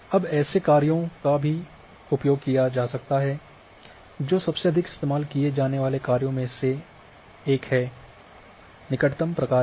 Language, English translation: Hindi, Now such functions it can also be used which constitute one of the most commonly used neighbourhood function